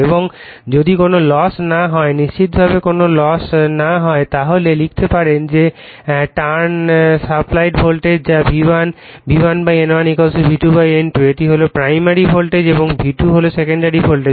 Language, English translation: Bengali, And if there is no loss we assume there is no loss then we can write that your turn supplied voltage that is V1, V1 / N1 = V2 / N2 this is primary side voltage and V2 is the secondary side voltage